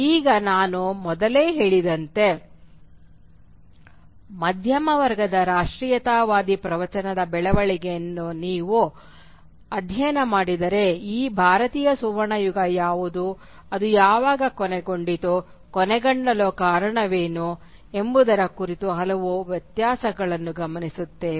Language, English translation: Kannada, Now as I have said earlier, if you study the development of the middle class nationalist discourse we will observe various differences regarding, say for instance, what constitutes this Indian golden age, when did it come to an end, what are the reasons for its coming to an end and things like that